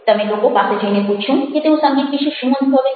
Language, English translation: Gujarati, did you go and ask people about how they feel about music